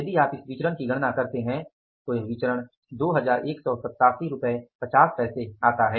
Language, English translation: Hindi, If you calculate this variance, this variance works out as rupees 2187